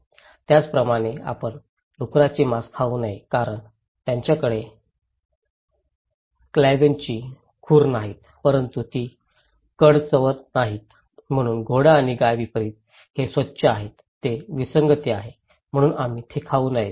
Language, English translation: Marathi, Similarly, you should not eat pork because they have cloven hooves but they don’t chew the cud, so unlike horse and cow so, these are clean who are anomalies, so you should not eat them